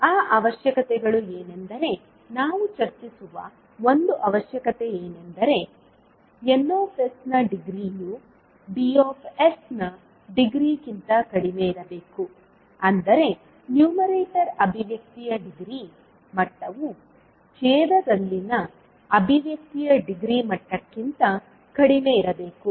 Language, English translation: Kannada, What was those requirements, one requirement, which we discuss was the degree of Ns must be less than the degree of Ds, that is degree of numerator expression should be less than the degree of expression in denominator